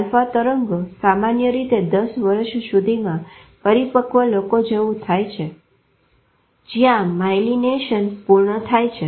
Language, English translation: Gujarati, Alpha waves normally become like mature people by the age of 10 years when malignation is complete